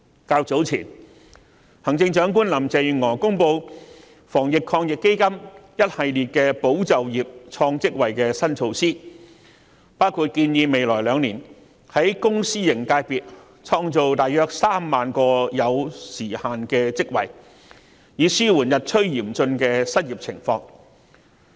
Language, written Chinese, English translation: Cantonese, 較早前，行政長官林鄭月娥公布防疫抗疫基金一系列"保就業、創職位"的新措施，包括建議未來兩年在公私營界別創造約3萬個有時限職位，以紓緩日趨嚴峻的失業情況。, Chief Executive Carrie LAM has announced earlier on a series of new measures to retain and create jobs under the Anti - epidemic Fund which include the proposed creation of around 30 000 time - limited jobs in the public and private sectors in the coming two years to ease the worsening unemployment situation